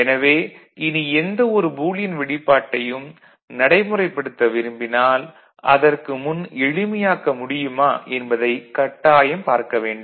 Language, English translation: Tamil, So, that is what you would do, if so required, before implementing any Boolean expression, we shall see whether it can be further simplified